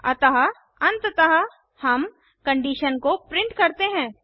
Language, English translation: Hindi, So finally, we print the condition